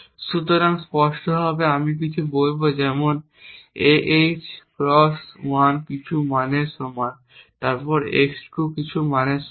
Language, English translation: Bengali, So, explicitly I would say something like ah x 1 is equal to some value a then x 2 is equal to some value b and so on